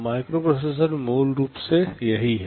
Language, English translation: Hindi, This is what a microprocessor basically is